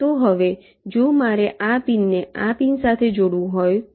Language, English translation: Gujarati, this has to be connected to a pin here